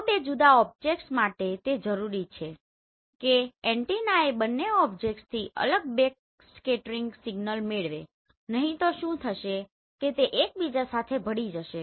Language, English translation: Gujarati, So for two different objects it is necessary that the antenna should receive the separate backscattering signal from both objects otherwise what will happen they will get merged with each other